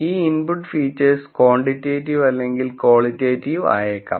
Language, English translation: Malayalam, And these input features could be quantitative, or qualitative